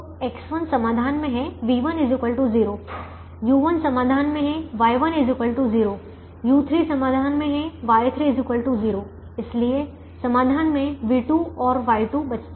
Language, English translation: Hindi, v one is equal to zero, u one is in the solution, y one is equal to zero, u three is in the solution, y three is equal to zero